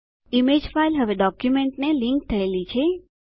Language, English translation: Gujarati, The image file is now linked to the document